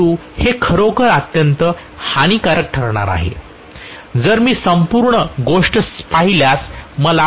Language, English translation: Marathi, But this actually is going to be extremely lossy, if I look at the whole thing I am going to have extremely large amounts of losses